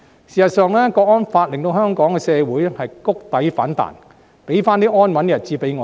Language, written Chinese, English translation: Cantonese, 事實上，《香港國安法》令香港社會谷底反彈，再次讓我們得享安穩的日子。, In fact the Hong Kong National Security Law has enabled our society to rebound after hitting rock bottom so that we may enjoy a stable life once again